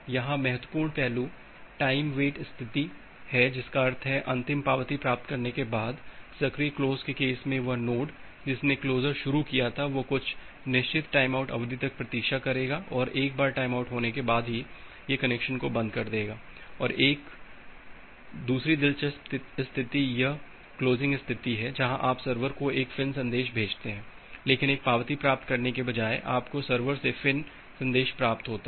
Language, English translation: Hindi, The important aspect here is this time wait state that means, after getting the final acknowledgement, in case of the active close the node which is initiating the closure it will wait for certain timeout duration and once the timeout occurs then only it will close the connection and another interesting state is this closing state where you have sent a FIN message to the server, but rather than getting an acknowledgement, you have received the FIN message from the server